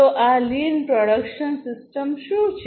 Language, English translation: Gujarati, So, what is this lean production system